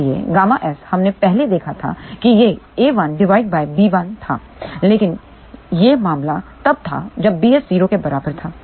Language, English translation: Hindi, So, gamma S, we had seen previously it was a 1 by b 1, but that was the case when b s was equal to 0